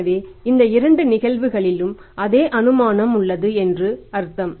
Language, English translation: Tamil, So these first two assumptions are same in both the models